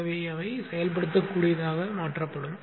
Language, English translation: Tamil, So that will be made executable